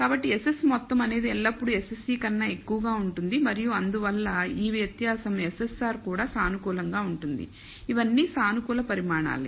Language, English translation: Telugu, So, SS total is the will always be greater than SSE and therefore, this di er ence SSR will also be positive all of these a positive quantities